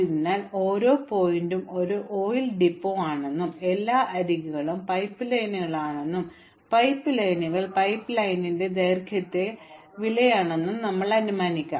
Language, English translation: Malayalam, So let's assume that every vertex is an oil depot and all the edges are pipelines and the pipelines are the costs are the lengths of the pipeline